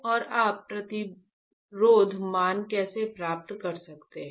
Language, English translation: Hindi, And how you can have the resistance values right